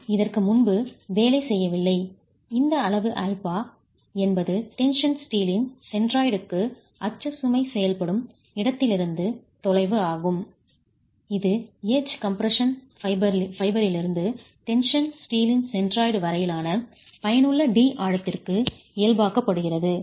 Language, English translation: Tamil, This quantity alpha is the distance from where the axle load is acting to the centroid of the steel, the tension steel itself normalized to the effective depth D, which is from the edge compression fiber to the centroid of the tension steel